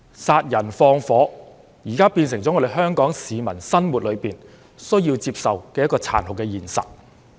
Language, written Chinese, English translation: Cantonese, 殺人放火現在變成了香港市民在生活裏需要接受的殘酷現實。, Killing and arson have now become a cruel reality that Hong Kong citizens need to accept in their daily life